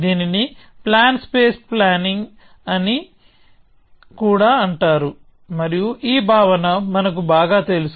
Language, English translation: Telugu, This is also known as plan space planning, and again we are familiar with this notion